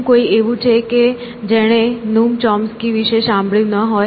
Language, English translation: Gujarati, So, is there anyone who is not heard of Noom Chomsky